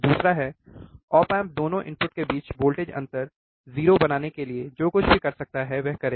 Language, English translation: Hindi, second is, the op amp will do whatever it can to make the voltage difference between the input 0